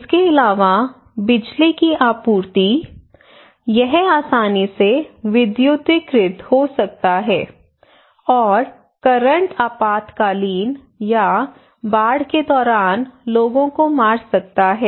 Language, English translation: Hindi, Also the electricity supply; it can easily electrified, and current can kill people during emergency or flood inundations